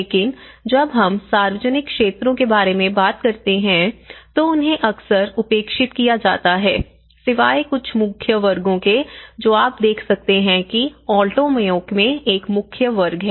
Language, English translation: Hindi, But, when we talk about the public areas, they are often neglected except a few main squares was what you can see is a main square in Alto Mayo